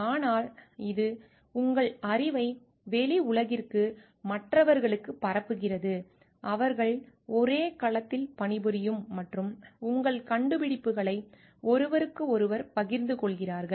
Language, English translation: Tamil, But it is also disseminating your knowledge to the outside world to the other people, who are working on the same domain and sharing of your findings with each other